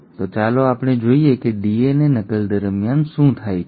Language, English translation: Gujarati, So let us look at what happens during DNA replication